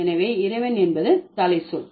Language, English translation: Tamil, So, Lord is the head word, right